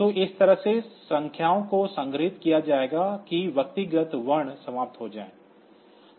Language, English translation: Hindi, So, this way the numbers will be stored that individual characters will be over